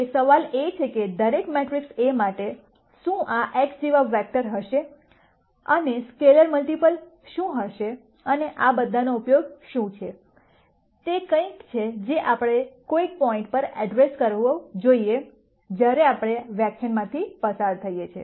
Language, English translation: Gujarati, Now the question is, for every matrix A, would there be A vectors like this x and what would be the scalar multiple and what is the use of all of this, is something that we should also address at some point as we go through this lecture